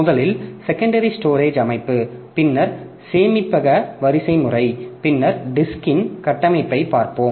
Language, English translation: Tamil, First we'll look into the secondary storage system, then storage hierarchy, then the structure of disk